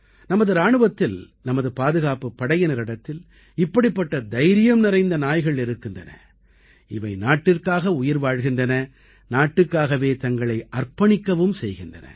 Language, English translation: Tamil, Our armed forces and security forces have many such brave dogs who not only live for the country but also sacrifice themselves for the country